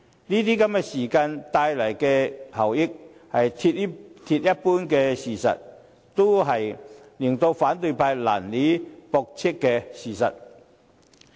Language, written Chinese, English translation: Cantonese, 這些時間所帶來的效益，是鐵一般的事實，也是反對派難以駁斥的事實。, The benefits brought by the saving of time are hard facts and it is difficult for the opposition camp to refute